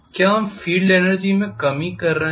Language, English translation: Hindi, Are we having a reduction in the field energy